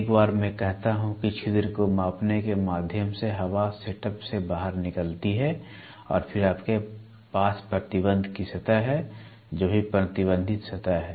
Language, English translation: Hindi, Once I say measuring orifice through which the air exits the setup, and then you have a restriction surface whatever is the restricted surface